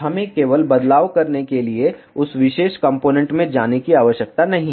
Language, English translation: Hindi, We need not to go to that particular component just to make the change